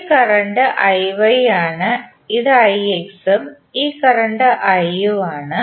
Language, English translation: Malayalam, This current is I Y, this is I X and this current is I